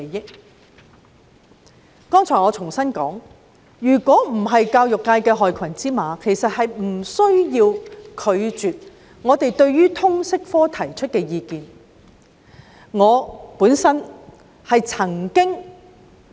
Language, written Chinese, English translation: Cantonese, 我剛才重申，如果教育界沒有害群之馬，根本無須拒絕我們就通識科提出的意見。, Just now I reiterated that had there not been black sheep in the education sector it was downright unnecessary to turn down our views on the LS subject